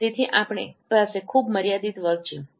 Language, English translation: Gujarati, So we have a very finite range